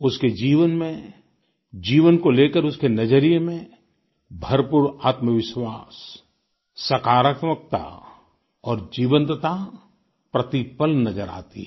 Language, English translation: Hindi, Every moment of his life and attitude towards life exudes immense selfconfidence, positivity and vivacity